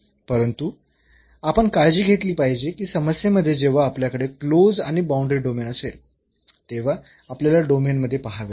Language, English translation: Marathi, But, we have to be careful that the problem when we have that close and the boundary domain we have to look inside the domain